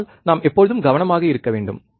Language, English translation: Tamil, So, we should always be careful